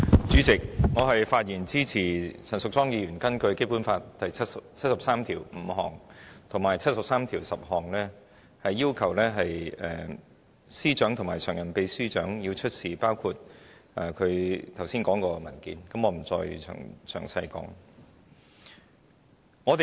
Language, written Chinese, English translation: Cantonese, 主席，我發言支持陳淑莊議員根據《基本法》第七十三條第五項及第七十三條第十項提出的議案，要求政務司司長及民政事務局常任秘書長出示包括她剛才提述的文件，我不再詳述。, President I speak in support of the motion moved by Ms Tanya CHAN under Articles 735 and 7310 to summon the Chief Secretary for Administration and the Permanent Secretary for Home Affairs to produce the documents just read out by her and I am not going to give the details here